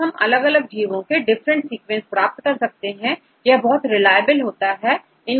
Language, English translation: Hindi, So currently, also we get different sequences from several organisms and the sequences are also reliable